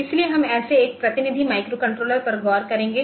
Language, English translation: Hindi, So, we will look into once some such representative microcontrollers